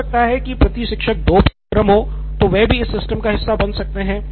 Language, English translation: Hindi, Maybe there is two courses per teacher, so that could also be part of your system